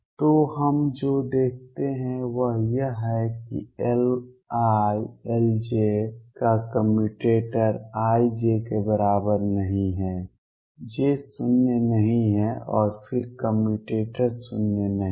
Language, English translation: Hindi, So, what we notice is that the commutator of L i L j, i not equals to j is not zero and then the commutator is not zero